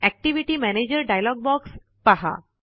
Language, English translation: Marathi, View the Activity Manager dialog box